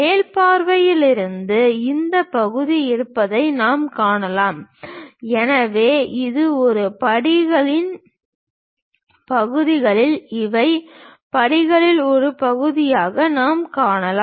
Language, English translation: Tamil, From top view we can see that, this part is present so this one, these are the parts of the steps which we can see it part of the steps